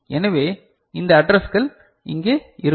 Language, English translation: Tamil, So, these addresses will be available here